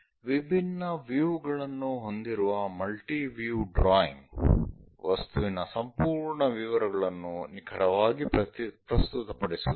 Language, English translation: Kannada, A multi view drawing having different views it accurately presence the object complete details